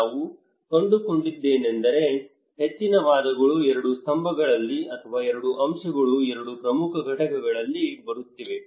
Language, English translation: Kannada, What we found is that the most of the arguments are coming in two pillars or kind of two components two major components